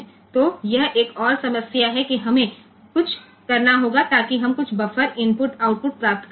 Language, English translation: Hindi, So, we have to do something so, that we can get some buffered input output